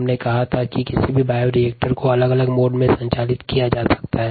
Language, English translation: Hindi, then we said that any bioreactor can be operated in different modes